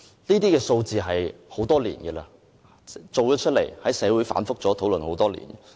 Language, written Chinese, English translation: Cantonese, 這些數字已經存在很多年，亦在社會上反覆討論多年。, These poll figures have been available and repeatedly discussed in society for years